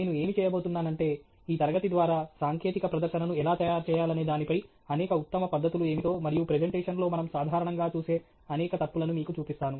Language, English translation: Telugu, What I am going to do, through this class, is show you what are the several of the best practices, so to speak, in a how to make a technical presentation, and also, several of the mistakes that have commonly seen in presentations